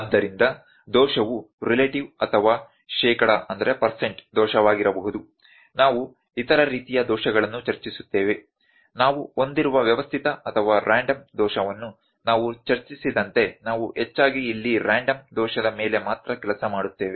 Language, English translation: Kannada, So, the error can be relative or percent error we are discussed other types of errors as well, like we discussed the systematic or random error we have we will be mostly working on the random error here only